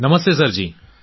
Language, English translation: Gujarati, Namaste Sir ji